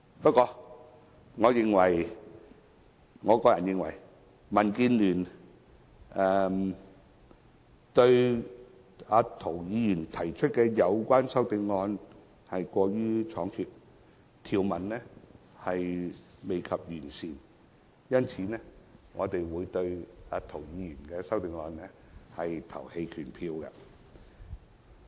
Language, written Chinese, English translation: Cantonese, 不過，我個人認為涂議員提出有關修正案過於倉卒，條文尚未完善，因此，我和民建聯會對涂議員的修正案投棄權票。, Nonetheless I personally think that Mr TO has been too hastily in proposing CSAs as the provisions are not comprehensive enough . Hence DAB and I will abstain from voting on Mr TOs CSAs